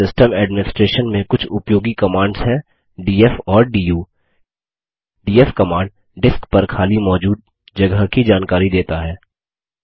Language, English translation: Hindi, Some of the useful commands in Linux System Administration are df and du The df command gives a report on the free space available on the disk